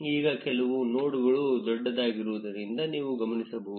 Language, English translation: Kannada, You will notice that some nodes now are bigger